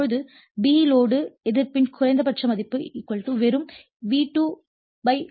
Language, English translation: Tamil, Now, b, minimum value of load resistance so, = just V2 / I2